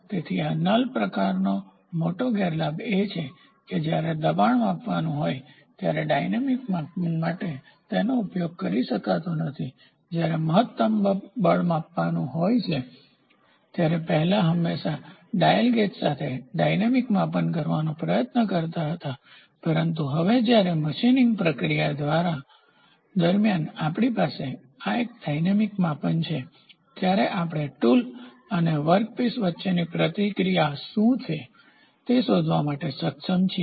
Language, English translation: Gujarati, So, the major disadvantage of this null type is it cannot be used for dynamic measurement when I do force measurement I will always try to do dynamic measurement olden days when we used to do with that dial gauge, it was only maximum force measurement used to measure, but now when we have this dynamic measurement during the process of machining we are able to find out different insights what is the interaction between the tool and the workpiece